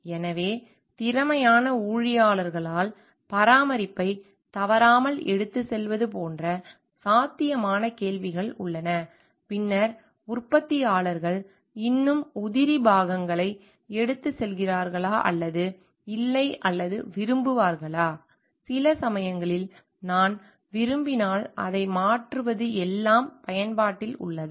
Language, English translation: Tamil, So, there are the possible questions could be like are maintenance regularly carried away by competent staff then do the manufacturers still carry spare parts or no or like, with changing sometimes if I like it is everything in use and throw